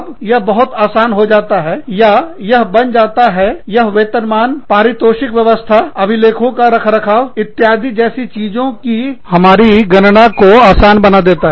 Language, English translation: Hindi, Then, it becomes very easy, or it becomes, it facilitates, our calculation of things like, compensation, reward systems, maintenance of records, etcetera